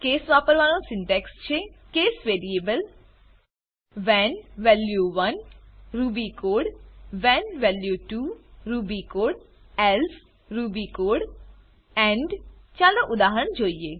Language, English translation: Gujarati, The syntax for using case is: case variable when value 1 ruby code when value 2 ruby code else ruby code end Let us look at an example